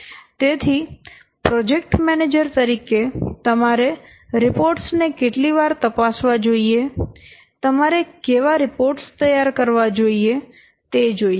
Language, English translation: Gujarati, So, the how frequently as a project manager you should check the reports, you should prepare the reports like this